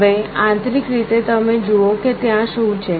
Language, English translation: Gujarati, Now, internally you see what it is there